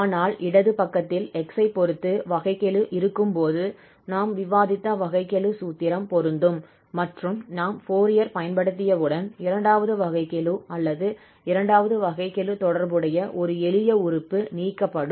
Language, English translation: Tamil, But the left hand side when we have the derivative there with respect to x, there the derivative formula which we have just discussed will be applicable and we have a simple term corresponding to this second derivative or the second derivative will be removed once we apply the Fourier transform